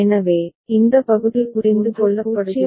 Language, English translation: Tamil, So, this part is understood, right